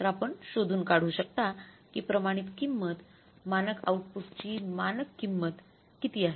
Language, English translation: Marathi, So, we have to calculate the standard cost of standard mix